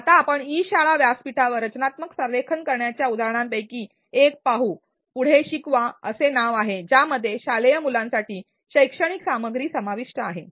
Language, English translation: Marathi, Let us now look at one of the examples of constructive alignment on an e learning platform named ‘Teach Next’ which entails educational content for school children